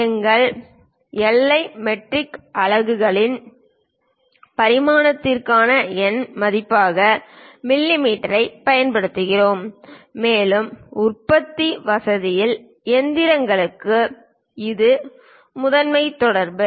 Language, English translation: Tamil, In our SI metric units, we use mm as numerical value for the dimension and this is the main communication to machinists in the production facility